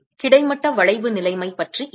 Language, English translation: Tamil, What about a horizontal bending situation